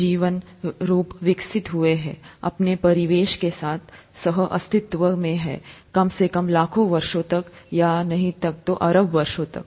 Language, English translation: Hindi, Life forms have evolved, co existed in harmony with their surroundings for millions of years atleast, or even billions of years